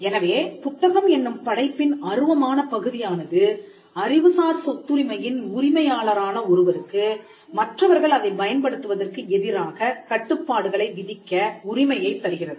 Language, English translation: Tamil, So, the intangible part of the work which is the book allows the owner of the intellectual property right, in this case the copyright owner to impose restrictions on further use